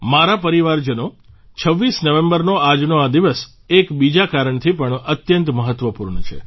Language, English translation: Gujarati, My family members, this day, the 26th of November is extremely significant on one more account